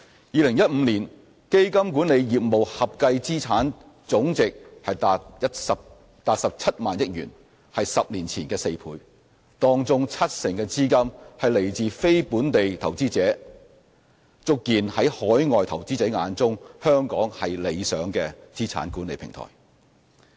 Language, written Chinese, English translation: Cantonese, 2015年，基金管理業務合計資產總值達17萬億元，是10年前的4倍，當中七成的資金來自非本地投資者，足見在海外投資者眼中，香港是理想的資產管理平台。, In 2015 the total asset value of the fund management business amounted to 17 trillion which is four times of the amount recorded 10 years ago and 70 % of the funds came from non - local investors which serves to prove that Hong Kong is an ideal asset management platform in the eyes of overseas investors